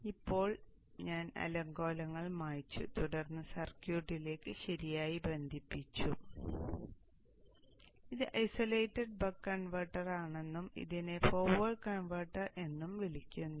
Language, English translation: Malayalam, So now I have cleared up the clutter and then connected the circuit properly and you see that this is the isolated buck converter and this is called the forward converter